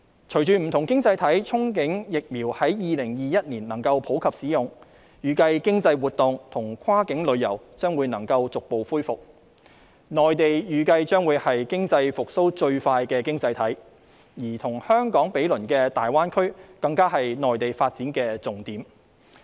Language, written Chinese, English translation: Cantonese, 隨着不同經濟體憧憬疫苗在2021年能夠普及使用，預計經濟活動及跨境旅遊將會逐步恢復，內地預計將會是經濟復蘇最快的經濟體，而與香港毗鄰的大灣區更是內地發展的重點。, With various economies envisioning the extensive use of the COVID vaccine in 2021 we expect economic activities and cross - boundary travel will be gradually resumed . We expect the Mainland economy will revive the soonest and the Greater Bay Area which is adjacent to Hong Kong will become the focus of development in the Mainland